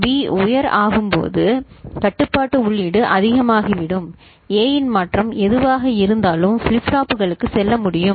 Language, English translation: Tamil, When B becomes high ok, the control input becomes high then, whatever is the change in A that can go to the flip flops serially one after another